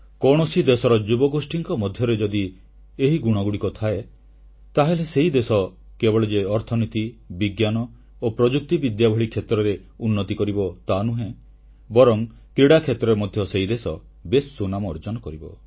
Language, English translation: Odia, If the youth of a country possess these qualities, that country will progress not only in areas such as Economy and Science & Technology but also bring laurels home in the field of sports